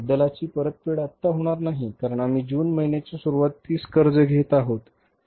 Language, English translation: Marathi, So, repayment of principal is also not going to be here because we are borrowing in the month of June in the beginning of the June